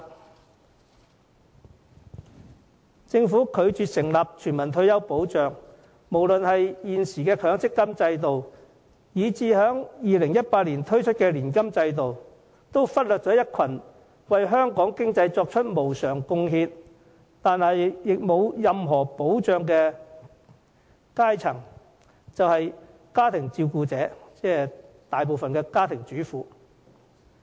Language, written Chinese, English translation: Cantonese, 有鑒於政府拒絕成立全民退休保障，無論現時的強積金制度，還是2018年推出的年金制度，都忽略了一個對香港經濟作出無償貢獻，卻沒有任何退休保障的階層，那就是家庭照顧者，即大部分家庭主婦。, With the refusal of the Government to introduce universal retirement protection members of a social class who have been contributing for no reward to the economy of Hong Kong will continue to be denied any retirement protection ignored by both the existing MPF System and the annuity scheme to be rolled out in 2018